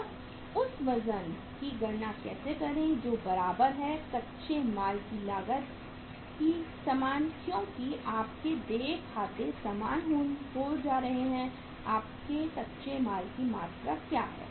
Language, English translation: Hindi, That is how to calculate that weight that is same that is cost of raw material cost of raw material because your accounts payable are going to be same, what is the amount of your raw material